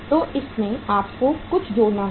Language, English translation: Hindi, So into this you have to add something